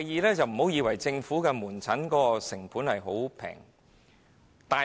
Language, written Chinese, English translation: Cantonese, 第二，政府門診的成本其實並不便宜。, Second the costs of government outpatient services are actually not low